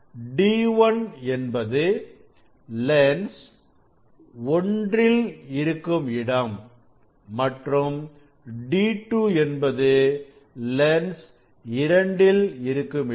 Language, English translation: Tamil, that is for position of the lens 1 that will be d 1 and for the position of the lens 2 that will be d 2